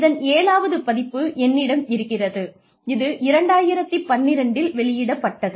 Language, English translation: Tamil, I have the seventh edition, which was published in 2012